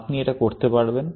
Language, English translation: Bengali, You will keep doing that